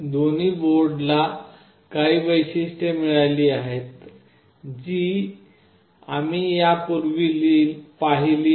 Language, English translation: Marathi, Both the boards has got some features, which we have already seen